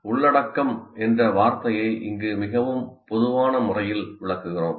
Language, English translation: Tamil, So content here we are interpreting in a very generic manner